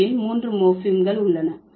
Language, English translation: Tamil, There are actually three morphins